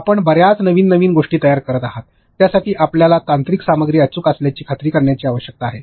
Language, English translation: Marathi, You are creating so many new new things, for that you need to make sure that the technical content is accurate